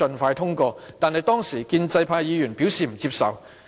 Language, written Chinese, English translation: Cantonese, 不過，當時建制派議員表示不接受。, However at that time pro - establishment Members did not render support